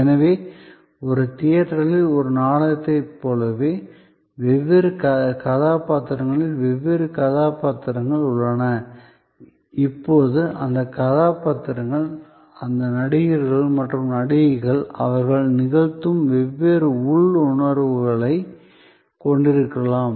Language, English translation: Tamil, So, just as in a play in a theater, there are different characters in different roles, now those characters, those actors and actresses as they perform may have different inner feelings